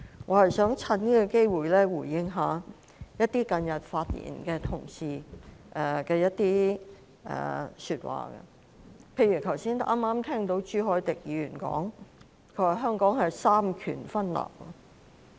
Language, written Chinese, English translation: Cantonese, 我只想藉此機會回應近日發言的同事所說的一些話，例如，剛才朱凱廸議員提到香港三權分立。, I just want to take this opportunity to respond to some remarks made by colleagues recently such as separation of powers in Hong Kong mentioned by Mr CHU Hoi - dick just now